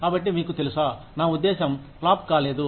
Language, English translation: Telugu, So, you know, I mean, not flopped